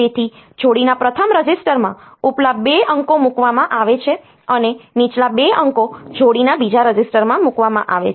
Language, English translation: Gujarati, So, upper 2 digits are placed in the first register of the pair and the lower 2 digits are placed in the second register of the pair